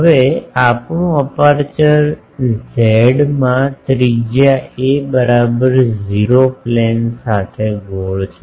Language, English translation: Gujarati, Now, our aperture is circular with radius a in z is equal to 0 plane